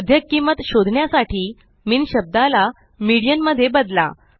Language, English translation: Marathi, To find the median value, replace the term MIN with MEDIAN